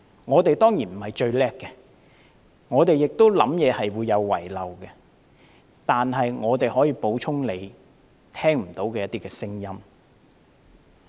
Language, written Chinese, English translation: Cantonese, 我們當然並非最了不起，我們的想法亦會有遺漏，但我們可以補充他聽不到的聲音。, We are of course not the most remarkable and our views may also be inadequate but we can make up for the voices that he could not hear